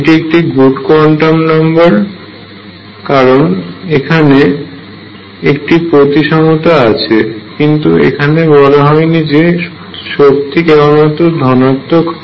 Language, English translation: Bengali, It is also a good quantum number because there is a symmetry it is involved with that symmetry, but it did not say that energy has to be positive